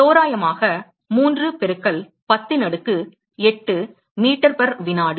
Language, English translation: Tamil, Approximately 3 into 10 power 8 meters per second